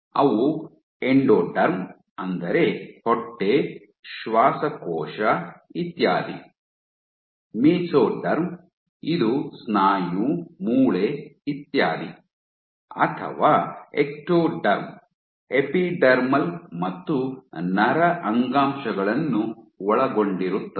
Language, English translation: Kannada, Which are Endoderm: that means stomach, lungs etcetera, Mesoderm: which is muscle, bone etcetera or Ectoderm: which include epidermal and nervous nerve tissues